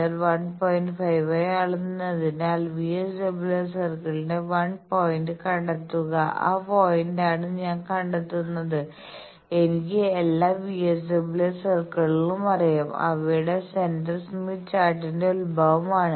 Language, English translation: Malayalam, 5 I am locating that point by which I am locating 1 point of the VSWR circle and I know all VSWR circles, their centre is the origin of the Smith Chart